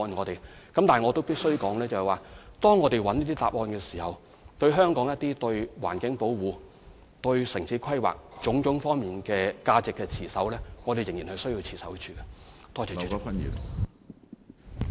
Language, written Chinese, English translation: Cantonese, 但是，我必須指出，在尋求答案的過程中，對於本港有關環境保護和城市規劃等各個方面的價值，我們仍然需要持守。, However I must point out that when seeking answers to the question we must still uphold the values of Hong Kong regarding environmental protection and town planning